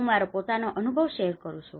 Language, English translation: Gujarati, I would like to share my own experience